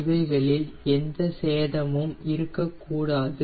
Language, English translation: Tamil, there is no damage